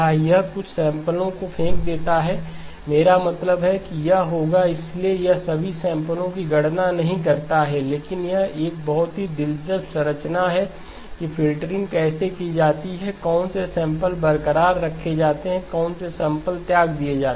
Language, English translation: Hindi, It does throw away some samples I mean it will, so it does not compute all samples, but it has a very interesting structure in terms of how the filtering is done, which samples are retained, which samples are discarded